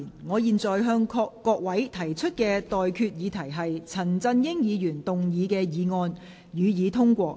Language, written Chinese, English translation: Cantonese, 我現在向各位提出的待決議題是：陳振英議員動議的議案，予以通過。, I now put the question to you and that is That the motion moved by Mr CHAN Chun - ying be passed